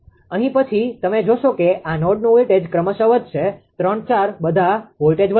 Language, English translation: Gujarati, Here then you will see voltage of this node will increase successively; 3, 4 all the voltages will increase right